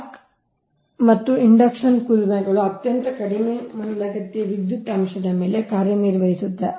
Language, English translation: Kannada, arc and induction furnaces operate on very low lagging power factor